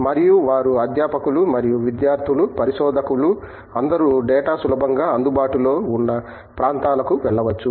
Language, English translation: Telugu, And they, faculty and the students both researchers can venture out in to areas where they get data readily available